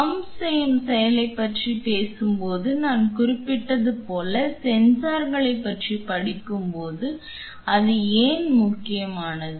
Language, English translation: Tamil, Like I mentioned when we were talking about pumping action why does it become important when we are studying about sensors